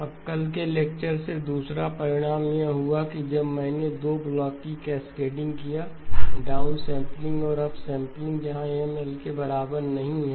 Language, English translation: Hindi, Now the second result from yesterday's lecture was that when I have a cascading of 2 blocks, down sampling and up sampling where M is not equal to L